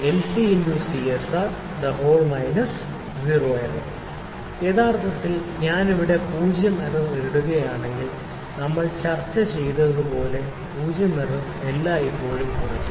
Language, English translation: Malayalam, Actually if I put here zero error, zero error as we have discussed it is always subtracted